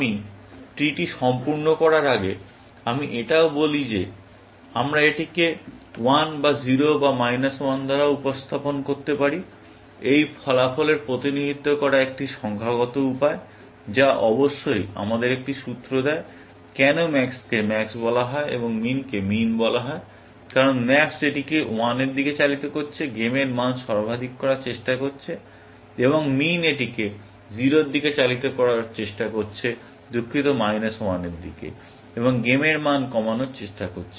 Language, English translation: Bengali, Before I fill up the tree, let me also say that we can represent this by 1 or 0, or 1 as well; just a numerical way of representing this outcome, which of course, gives us a clue, as to why max is called max, and min is called min; because max is driving it towards 1, trying to maximize the value of the game, and min is trying to drive it towards 0, sorry, towards minus 1, and trying to minimize the value of game